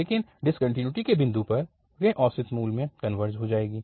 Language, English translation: Hindi, So, at the point of this discontinuity, it will converge to the average value